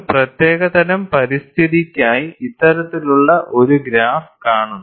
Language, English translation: Malayalam, And this kind of a graph, is seen for a particular kind of environment